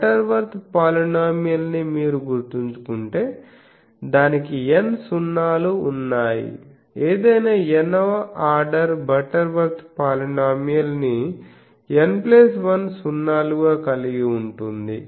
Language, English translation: Telugu, If you remember the Butterworth polynomial that it has n number of 0s any nth order Butterworth polynomial as n plus 1 0s